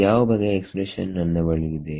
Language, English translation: Kannada, what kind of expression will I have